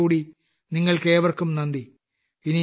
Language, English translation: Malayalam, Once again, many thanks to all of you